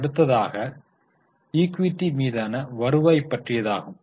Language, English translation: Tamil, The next one is return on equity